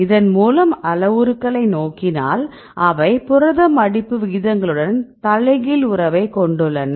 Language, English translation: Tamil, If we showed that these parameters right have inverse relationship with the protein folding rates